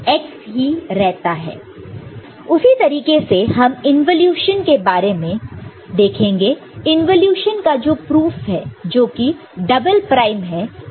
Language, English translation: Hindi, So, similarly you can look at the involution the proof of involution that is double prime is the function itself, ok